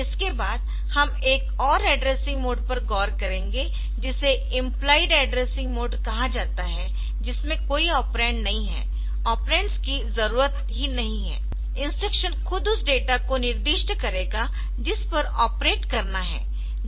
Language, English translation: Hindi, Next, we will look into next we will look into another addressing mode which is implied addressing like some of the instructions where there is no operand operands are not needed the instruction itself will specify the data on which to operate say CLC